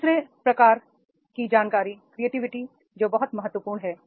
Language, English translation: Hindi, The third type of information which is very, very important and that is the creativity